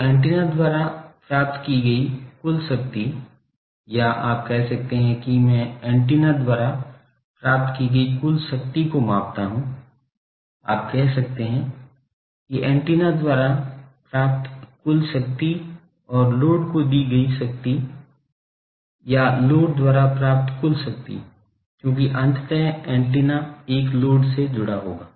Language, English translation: Hindi, So, total power received by the antenna, or you can say how do I measure total power received by the antenna, you can say total power received by the antenna and delivered to the load, or total power received by the load, because ultimately the antenna will be connected to a load